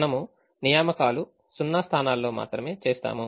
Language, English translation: Telugu, remember that we will make assignments only in zero positions